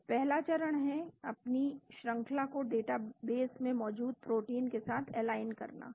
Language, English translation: Hindi, So, the first step is aligning your sequence with the known proteins in the data base